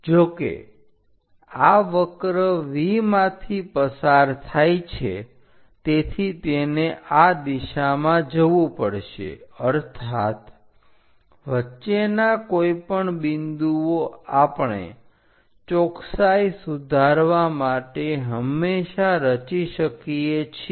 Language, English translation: Gujarati, However, this curve passed through V so; it has to go in this direction; that means, any middle points we can always construct it to improve the accuracy